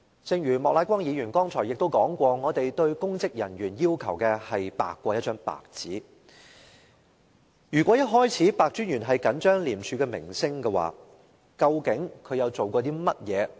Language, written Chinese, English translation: Cantonese, 正如莫乃光議員剛才提及，我們要求公職人員要白過一張白紙，如果白專員在開始時已着緊廉署的名聲的話，究竟他做了甚麼工作？, As Mr Charles Peter MOK just said we want the words and deeds of our public officers to be whiter than a piece of white paper . If Commissioner PEH were so concerned about the reputation of ICAC what has he done since the incident happened?